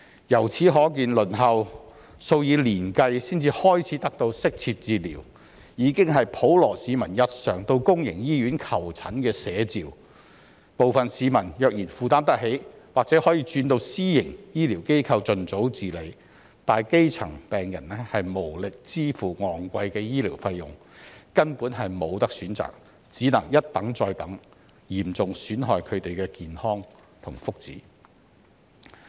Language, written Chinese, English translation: Cantonese, 由此可見，輪候數以年計才能開始得到適切治療，已是普羅市民日常到公營醫院求診的寫照，部分市民若然負擔得起，或許會轉到私營醫療機構盡早治理；但基層病人無力支付昂貴的醫療費用，根本沒有選擇，只能一等再等，嚴重損害他們的健康和福祉。, As we can see the reality is that the general public has to wait for years to obtain proper treatment at public hospitals and some who can afford it may turn to private medical institutions for early treatment . However grass - roots patients who cannot afford to pay high medical fees will have no choice but to keep waiting which will seriously undermine their health and well - being